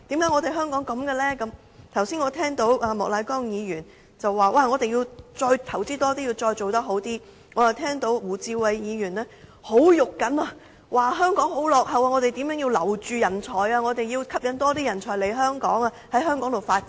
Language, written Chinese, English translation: Cantonese, 我剛才聽到莫乃光議員說我們要再投資多一點，再做好一點，我又聽到胡志偉議員很着緊地說香港十分落後於人，我們應如何留住人才，以及吸引更多人才來香港發展等。, Just now I heard Mr Charles MOK say that we had to invest even more and do even better and I also heard Mr WU Chi - wai talk with urgency about how Hong Kong was lagging far behind others how talents should be retained how more talents can be attracted to Hong Kong to carve out their career here so on so forth